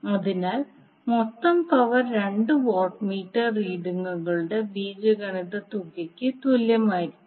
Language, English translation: Malayalam, So this is what we get from the two watt meter algebraic sum